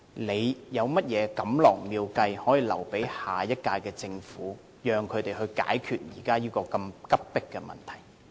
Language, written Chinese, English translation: Cantonese, 他有甚麼錦囊妙計可以留給下屆政府，讓他們解決現時這個如此迫切的問題？, Does he have any good advice for the next Government on solving this pressing problem?